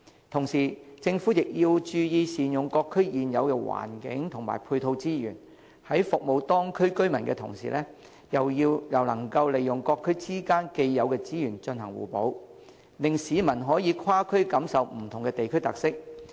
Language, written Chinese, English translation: Cantonese, 同時，政府亦要注意善用各區現有環境及配套資源，在服務當區居民之餘，又能夠利用各區之間的既有資源進行互補，令市民可以跨區感受不同的地區特色。, At the same time the Government should ensure the optimal use of the existing environment and ancillary resources in the communities to serve the local residents while giving people a feel of the unique characteristics in different districts through the synergy achieved by the complementary use of existing resources in each district